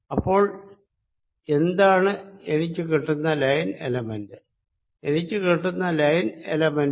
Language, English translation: Malayalam, so what is the line element that i get